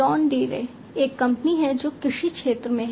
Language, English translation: Hindi, John Deere is a company which is in the agriculture space